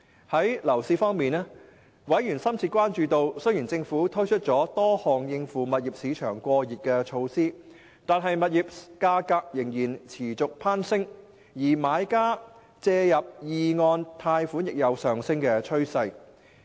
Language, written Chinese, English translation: Cantonese, 在樓市方面，委員深切關注到，雖然政府推出了多項應付物業市場過熱的措施，但物業價格仍然持續攀升；而買家借入二按貸款亦有上升趨勢。, As to the property market members expressed grave concern about the continual surge in property prices despite the implementation of a number of measures to deal with the over - heated property market and the increasing number of property buyers seeking top - up loans